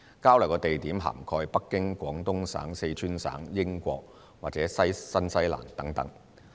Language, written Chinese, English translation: Cantonese, 交流地點涵蓋北京、廣東省、四川省、英國和新西蘭等。, Exchange locations included Beijing Guangdong Province Sichuan Province the United Kingdom and New Zealand etc